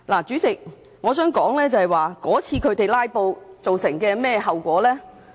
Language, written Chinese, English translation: Cantonese, 主席，我想談談他們那次"拉布"造成甚麼後果。, President let me say a few words about the effects of the filibustering they staged at the meetings then